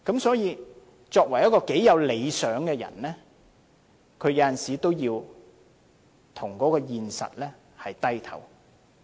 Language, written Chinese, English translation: Cantonese, 所以，即使一個有理想的人，有時候也要向現實低頭。, Hence even a person with aspirations may sometimes yield to reality